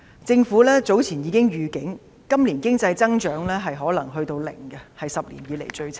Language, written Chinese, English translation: Cantonese, 政府早前已發出預警，今年經濟增長可能是零，是10年以來最差。, Some time ago the Government forewarned that the economy may record a zero growth this year the worst for the past decade